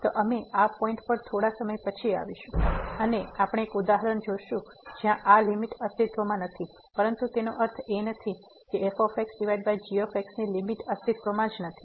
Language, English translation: Gujarati, We will come to this point little later and we will see one example where this limit does not exist, but it does not mean that the limit of over does not exist